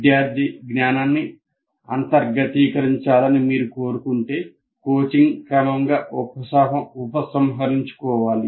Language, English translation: Telugu, And then if you want the student to completely internalize that, the coaching should be gradually withdrawn